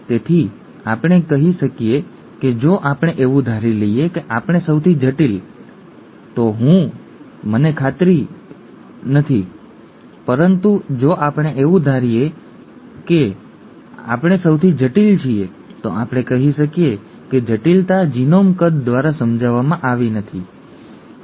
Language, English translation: Gujarati, So we can say that, if we assume that we are the most complex I, I am not very sure about that, but if we assume that we are the most complex we can say that the complexity is not explained by genome size, right